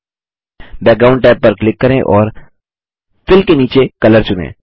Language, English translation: Hindi, Click the Background tab and under Fill and select Color